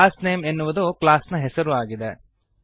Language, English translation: Kannada, Class name is the name of the class